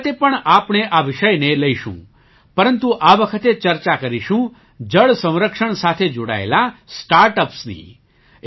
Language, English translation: Gujarati, This time also we will take up this topic, but this time we will discuss the startups related to water conservation